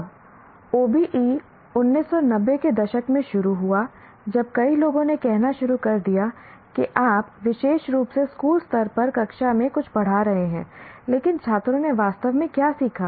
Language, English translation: Hindi, Now the OBE started back in 90s when many people started saying that okay that, okay, you're teaching something in the class, especially at the school level